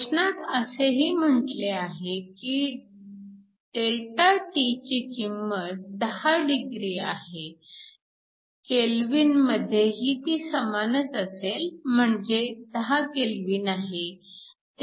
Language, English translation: Marathi, So, the question also says your Δt is nothing but 10 degrees, so in Kelvin, it is a same 10 Kelvin